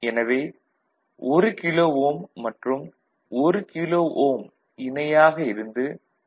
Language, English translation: Tamil, So, 1 kilo ohm, 1 kilo ohm in parallel that is 0